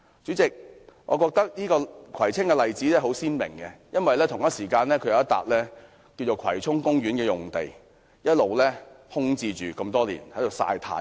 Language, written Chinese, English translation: Cantonese, 主席，我覺得葵青的例子相當鮮明，因為有一幅葵涌公園用地一直空置，只是在"曬太陽"。, President I think the Kwai Tsing example is rather vivid . The Kwai Chung Park site has been left vacant and sunbathing for a long time